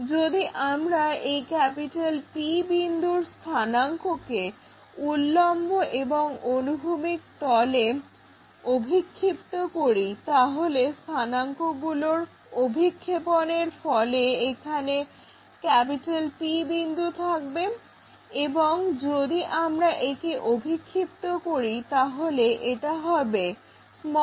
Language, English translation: Bengali, If we are projecting the coordinates for this P point onto our vertical plane and horizontal plane the coordinates will be this one which is P here and if I am projecting this will be p'